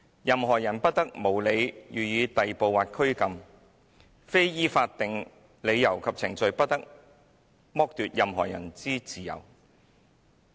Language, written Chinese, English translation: Cantonese, 任何人不得無理予以逮捕或拘禁，非依法定理由及程序，不得剝奪任何人之自由。, No one shall be subjected to arbitrary arrest or detention . No one shall be deprived of his liberty except on such grounds and in accordance with such procedure as are established by law